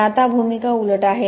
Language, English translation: Marathi, But now the roles are reversed